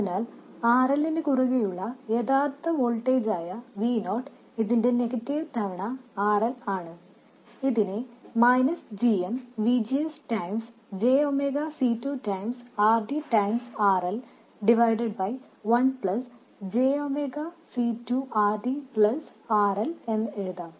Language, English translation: Malayalam, So the actual voltage across RL V0 is negative of this times RL, which can be written as minus GMVGS times JMEA c2 times RD times RL divided by 1 plus J omega C2 RD plus RL